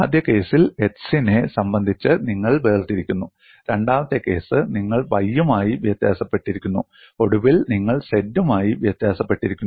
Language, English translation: Malayalam, And you differentiate with respect to x in the first case; the second case, you differentiate with respect to y and finally, you differentiate with respect to dou z